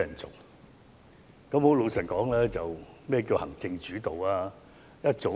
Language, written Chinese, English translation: Cantonese, 坦白說，何謂行政主導呢？, Frankly speaking what is meant by executive - led?